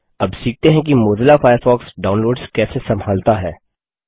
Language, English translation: Hindi, Next, let us now learn how Mozilla Firefox handles downloads